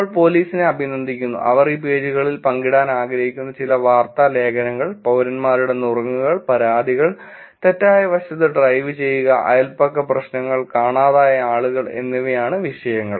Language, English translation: Malayalam, We are appreciating the police, sharing some news articles that they would like to share it on these pages, citizen tips, complaints, driving in wrong side at blah blah blah, neighborhood problems, missing people